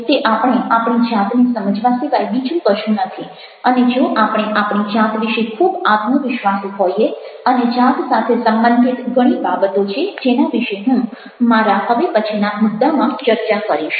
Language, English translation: Gujarati, how it happens it is nothing but understanding our own, our self, and if we are very much confident about our own self and there are so many things related to self which i shall be discussing in my next topic